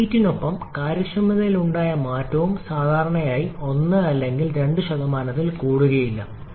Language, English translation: Malayalam, And the change in efficiency with the adoption of reheating generally is not more than 1 or 2%